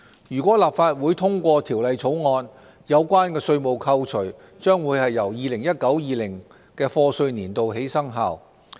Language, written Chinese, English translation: Cantonese, 如立法會通過《條例草案》，有關稅務扣除將由 2019-2020 課稅年度起生效。, If the Bill is endorsed by the Legislative Council the tax reductions concerned will come into effect from the year of assessment of 2019 - 2020